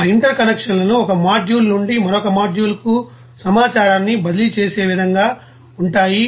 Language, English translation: Telugu, And that interconnections will be in such way that information can be you know transfer from one module to another module